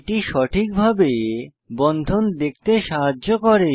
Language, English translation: Bengali, This helps to visualize the bond correctly